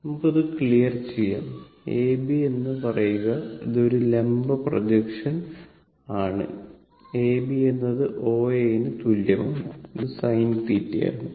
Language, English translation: Malayalam, Let me let me clear it, say A B this is a vertical projection A B is equal to your O A